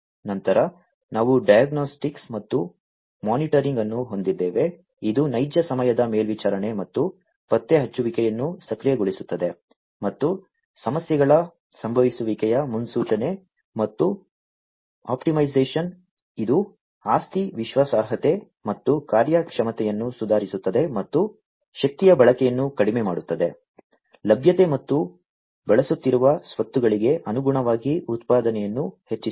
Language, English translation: Kannada, Then we have the diagnostics and monitoring, which is responsible for real time monitoring, and enabling detection, and prediction of occurrence of problems and optimization, which improves asset reliability and performance, and reducing the energy consumption, increasing availability, and the output in accordance to the assets, that are being used